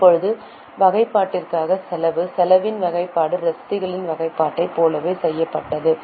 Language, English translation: Tamil, Now, the expenditure on classification, the expenditure classification was also done similar to classification of receipts